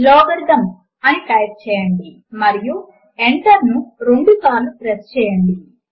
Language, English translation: Telugu, Type Logarithms: and press Enter twice